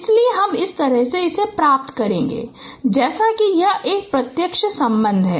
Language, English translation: Hindi, So you get in this way this is a direct relationships